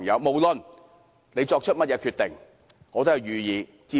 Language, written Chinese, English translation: Cantonese, 不論他們作出甚麼決定，我都支持。, I support whatever decisions they have reached